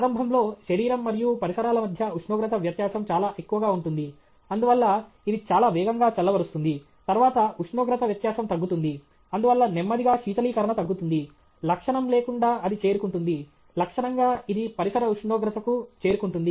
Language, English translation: Telugu, Initially, the temperature difference between the body and the surroundings will be very high; therefore, it will cool very fast; then, the driving temperature difference comes down; therefore, slowly the cooling will reduce; asymptotically it will reach the…; asymptotically it will reach the ambient temperature